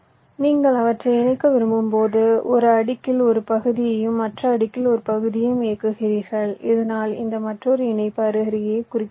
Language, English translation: Tamil, so when you want to connect them, you run a part on one layer, a part on other layer, so that this another connection that is going side by side does not intersect